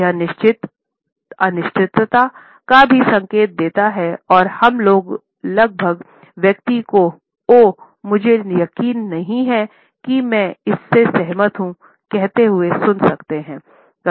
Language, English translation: Hindi, It also signals certain uncertainty and we can almost hear a person saying oh, I am not sure whether I agree with it